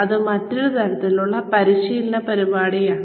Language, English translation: Malayalam, That is another type of training program